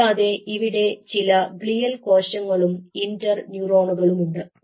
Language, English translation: Malayalam, so here you have the glial cells, here you have the neurons